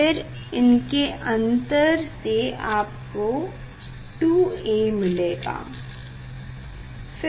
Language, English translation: Hindi, then that will the difference of these 2 reading will give us 2 A we will give us 2 A